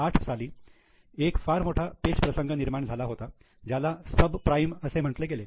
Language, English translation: Marathi, There was a very big crisis in 2008 known as subprime crisis